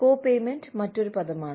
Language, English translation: Malayalam, Copayment is another term